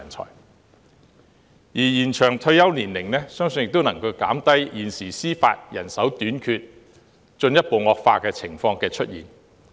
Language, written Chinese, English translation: Cantonese, 此外，延長退休年齡亦能減低現時司法人手短缺問題進一步惡化的情況。, In addition an extension of the retirement age will also prevent the existing shortage problem of Judicial Officers from worsening